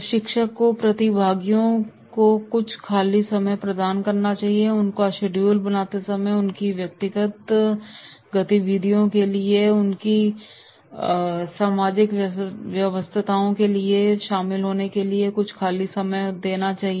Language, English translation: Hindi, Trainer must provide some free time to the participants, in their scheduling there must be certain free time to the participants to pursue their personal activities or attend to their social engagements